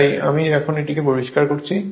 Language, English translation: Bengali, So, I am now cleaning it